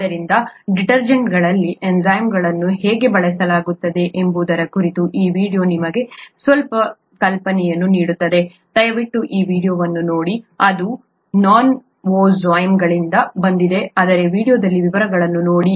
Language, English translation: Kannada, So this video gives you some idea as to how enzymes are used in detergents, please take a look at this video, it’s by novozymes but look at the the details in that video